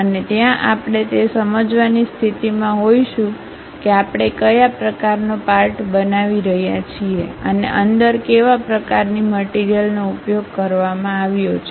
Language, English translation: Gujarati, And, there we will be in a position to really understand what kind of part we are manufacturing and what kind of material has been used internally